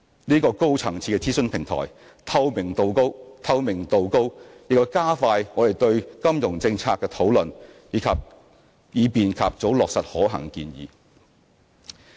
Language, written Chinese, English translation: Cantonese, 這個高層次的諮詢平台，透明度高，亦加快我們就金融政策的討論，以便及早落實可行建議。, This high - level advisory platform is highly transparent and can expedite our discussions on financial policies for early implementation of feasible proposals